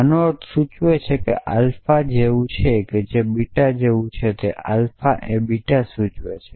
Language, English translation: Gujarati, say something like alpha is to beta is equivalent to alpha implies beta and beta implies